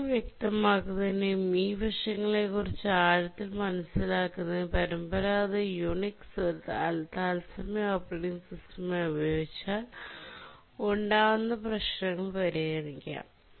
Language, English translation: Malayalam, To make the issues clear and to get a deeper insight into these aspects, we will consider what problems may occur if the traditional Unix is used as a real time operating system